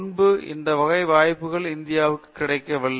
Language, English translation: Tamil, Previously this type of opportunity was not available for India